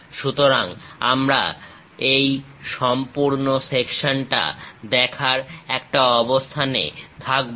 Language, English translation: Bengali, So, we will be in a position to see this complete portion